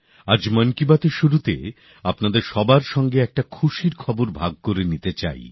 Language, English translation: Bengali, I want to share a good news with you all at the beginning of Mann ki Baat today